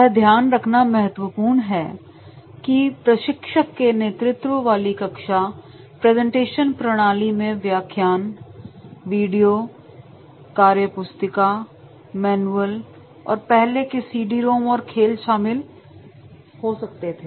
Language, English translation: Hindi, It is important to note that the instructor laid classroom presentation methods may include lectures, videos, workbooks, manuals and earlier the CD rooms and games are there